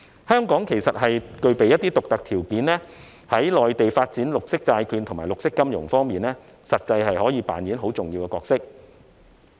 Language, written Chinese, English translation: Cantonese, 香港其實具備一些獨特條件，在內地發展綠色債券和綠色金融方面，實際上可扮演很重要的角色。, In fact with our unique advantages Hong Kong can really play a significant role in Mainlands development of green bonds and green finance